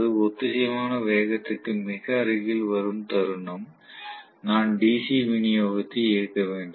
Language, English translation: Tamil, The moment it comes very close to the synchronous speed, at that point I can turn on the DC supply